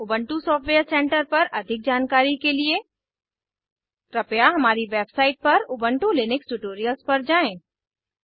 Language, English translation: Hindi, For more information on Ubuntu software Center, please refer to Ubuntu Linux Tutorials on our website What is GChemPaint